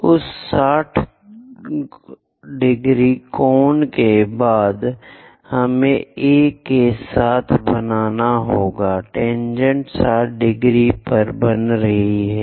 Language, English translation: Hindi, After that 60 degrees angle, we have to make with A, the tangents are making 60 degrees